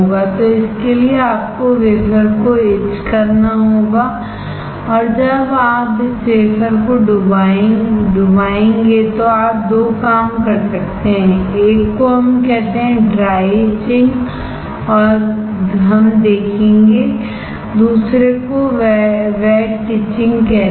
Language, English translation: Hindi, So, for that you have to etch the wafer and when you dip this wafer you can do two things: one is called dry etching we will see, another is called wet etching